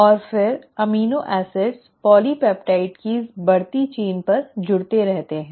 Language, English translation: Hindi, And then the amino acids keep on getting added onto this growing chain of polypeptide